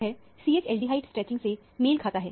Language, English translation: Hindi, This corresponds to the CH aldehyde stretching